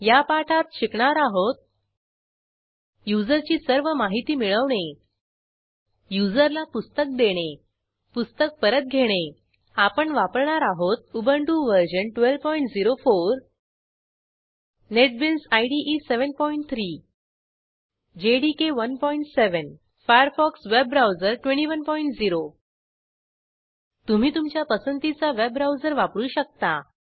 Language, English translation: Marathi, In this tutorial, we will learn how to#160: Fetch all the user details To Issue a book To return a book Here we are using Ubuntu Version 12.04 Netbeans IDE 7.3 JDK 1.7 Firefox web browser 21.0 You can use any web browser of your choice